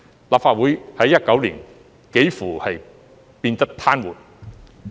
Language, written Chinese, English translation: Cantonese, 立法會在2019年幾乎變得癱瘓。, The Legislative Council was almost paralysed in 2019